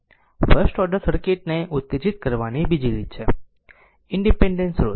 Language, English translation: Gujarati, The second way second way to excite the first order circuit is by independent sources